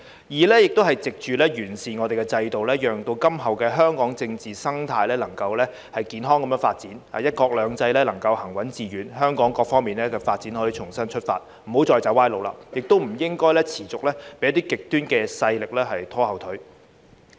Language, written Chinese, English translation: Cantonese, 二是藉完善制度，讓今後香港的政治生態能夠健康發展，"一國兩制"能夠行穩致遠，香港各方面發展可以重新出發，不要再走歪路，亦不應該持續被一些極端勢力拖後腿。, Second to improve the system so that the political scene in Hong Kong can develop healthily in the future that one country two systems can be implemented steadfastly and successfully and that the development of Hong Kong can start afresh in all aspects without going down the wrong path again and should not continue to be held back by some extremist forces